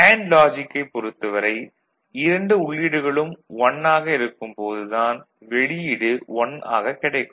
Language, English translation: Tamil, Then what we expect for AND logic when both the inputs are 1 the output will be high